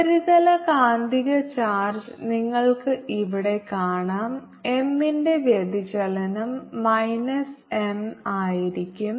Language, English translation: Malayalam, surface magnetic charge you can see out here divergence of m is going to be minus m